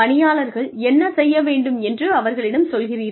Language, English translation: Tamil, Tell employees, what you need them to do, very specifically